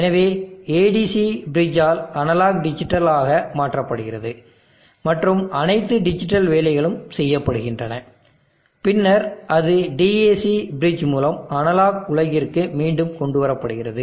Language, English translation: Tamil, So analog to digital conversion is by the ADC bridge and all the digital work is done and then it is brought back into the analog world by the dam bridge